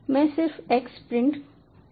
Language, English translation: Hindi, i just print x